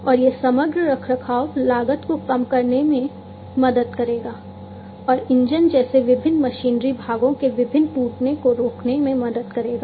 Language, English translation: Hindi, And that this will help in reducing the overall maintenance cost, and preventing different breakdown of different machinery parts, such as engines